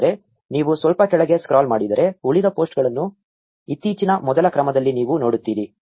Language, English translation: Kannada, But if you scroll down a bit you will see the remaining posts in the most recent first order